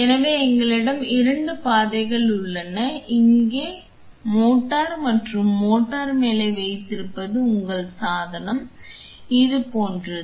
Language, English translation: Tamil, So, we have two paths here this here is the motor and what the motor holds on top is your device something like this